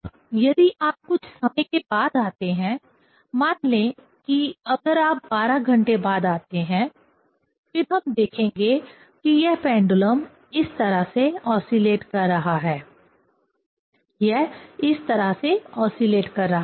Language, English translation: Hindi, Now, if you come after some time, say after 12 hours if you come; then we will see this pendulum is oscillating this way; it is oscillating this way